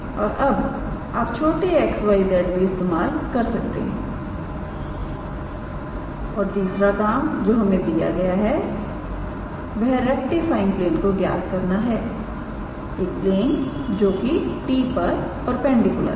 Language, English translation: Hindi, And now you can use the small x y z as well and the third task that is given to us is the rectifying plane, the plane that is perpendicular to t i guess